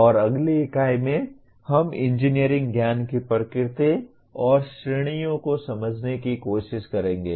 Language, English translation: Hindi, And in the next unit, we will try to understand the nature and categories of engineering knowledge